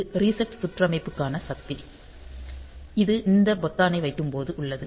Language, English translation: Tamil, So, this is the power on reset circuitry; so, this is when this button is placed